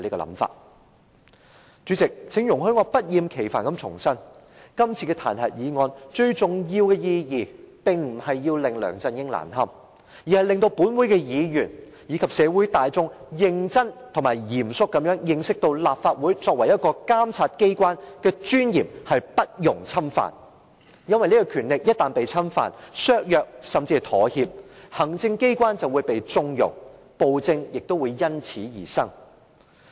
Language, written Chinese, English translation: Cantonese, 代理主席，請容許我不厭其煩地重申，今次的彈劾議案，最重要的意義並非要令梁振英難堪，而是令本會議員及社會大眾認真而嚴肅地認識到，立法會作為一個監察機關的尊嚴不容侵犯，因為這個權力一旦被侵犯、削弱，甚至妥協，行政機關便會被縱容，暴政亦會因此而生。, Deputy President please allow me to repeat once again that the most important meaning of todays impeachment motion is not to embarrass LEUNG Chun - ying but rather to make Members of this Council and the general public realize seriously and solemnly that the dignity of the Legislative Council as a monitoring organ is inviolable because once its power is violated weakened or compromised the Executive Authorities will be connived giving rise to despotic rule